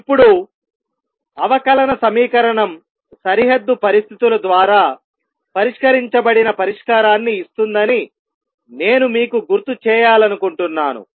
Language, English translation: Telugu, Now, I just want to remind you that a differential equation gives solution that is fixed by boundary conditions